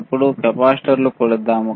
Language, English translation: Telugu, Now, let us measure the capacitor